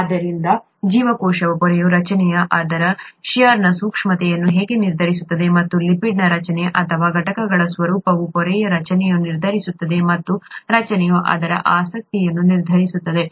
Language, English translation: Kannada, So that is very simply how the structure of the cell membrane determines its shear sensitivity, and the structure of the lipids or or the constituents the nature of the constituents determine the structure of the membrane and the structure determines its property